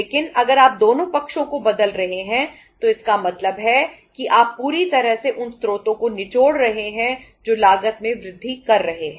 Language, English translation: Hindi, But if you are changing both the sides it means you are fully say squeezing the the sources which are increasing the cost